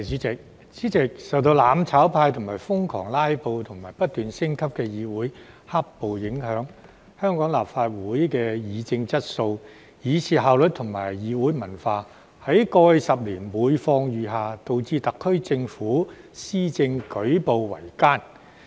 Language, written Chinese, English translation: Cantonese, 主席，受到"攬炒派"瘋狂"拉布"及不斷升級的議會"黑暴"影響，香港立法會的議政質素以至效率和議會文化，在過去10年每況愈下，導致特區政府施政舉步維艱。, President under the influence of the filibuster frenzy among the mutual destruction camp and the escalating violence in the legislature the quality and efficiency in policy discussion as well as the parliamentary culture of the Legislative Council of Hong Kong had been deteriorating over the past decade making it extremely difficult for the SAR Government to implement its policies